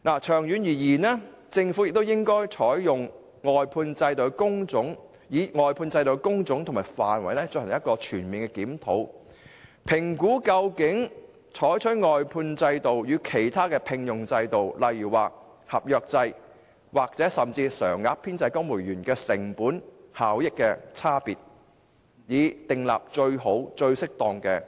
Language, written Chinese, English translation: Cantonese, 長遠而言，政府應就外判制度的工種和範圍進行全面檢討，評估採用外判制度與其他聘用制度，例如合約制或甚至公務員常額編制，在成本效益上的差異，以訂立最好、最適當的僱傭制度。, In the long term the Government should conduct a comprehensive review of the types and scope of work under the outsourcing system and assess the difference in cost - effectiveness between the outsourcing system and other appointment systems for example appointment on contract terms or even in the civil service permanent establishment with a view to establishing the best and the most suitable employment system